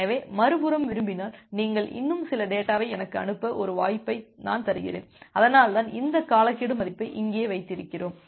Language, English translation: Tamil, So I am giving an opportunity for the other end to send few more data to me if it wants, so that is why we have this timeout value here